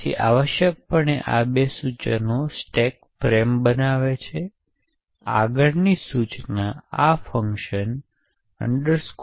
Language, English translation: Gujarati, So, essentially these two instructions create the stack frame, the next instruction is a call to this function call X86